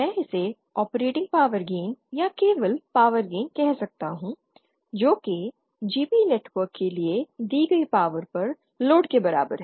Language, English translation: Hindi, I can call this as operating power gain or simply power gain GP is equal to power delivered to the load upon power delivered to the network